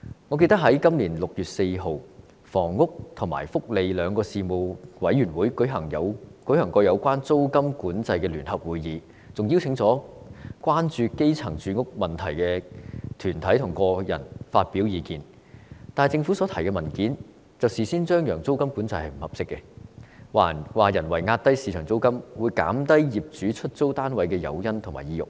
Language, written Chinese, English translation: Cantonese, 我記得在今年6月4日，房屋及福利兩個事務委員會曾舉行有關租金管制的聯合會議，並邀請關注基層住屋問題的團體和個人發表意見，但政府所提交的文件卻事先張揚，指租金管制並非合適的做法，因為人為壓低市場租金，會減低業主出租單位的誘因和意欲。, I remember that on 4 June this year the Panel on Housing and the Panel on Welfare Services held a joint meeting on rental control . Groups and individuals concerned about the housing problem of the grass roots were also invited to present their views . But the paper submitted by the Government openly claimed beforehand that rental control was not an appropriate approach because if the market rent was pushed down artificially it would reduce owners incentive and desire to lease out their flats